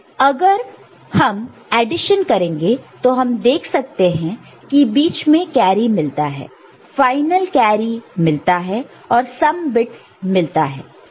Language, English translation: Hindi, Now, if you perform the addition you can see what is happening intermediate carry and the final carry that will be generated and the sum bits